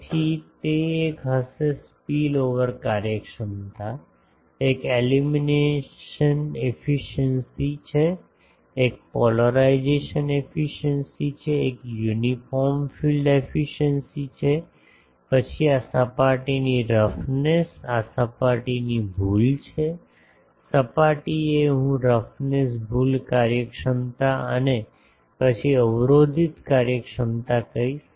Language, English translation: Gujarati, So, that will be one is spillover efficiency, one is illumination efficiency, one is polarisation efficiency, one is uniform field efficiency, then this surface roughness, this is surface error; surface I will say roughness error efficiency and then the blocking efficiency